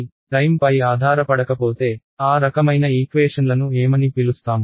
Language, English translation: Telugu, So, if there is no time dependence, what are those kinds of equations called